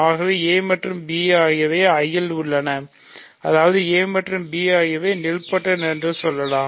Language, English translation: Tamil, So, let us say a and b are in I that means, a and b are nilpotent